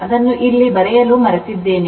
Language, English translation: Kannada, I forgot to put it here